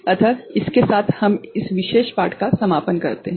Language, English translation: Hindi, So, with this we conclude this particular lecture